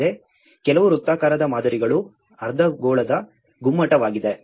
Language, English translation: Kannada, Also, some of the circular models which is a hemispherical dome